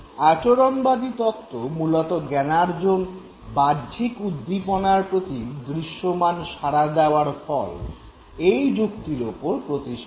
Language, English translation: Bengali, Now basically the behavioral theories are based on the premise that learning takes place as the result of observable responses to any external stimuli